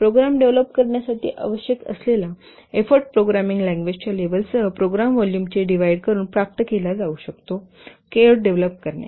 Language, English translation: Marathi, The effort required to develop a program can be obtained by dividing the program volume with the level of the programming language is to develop the code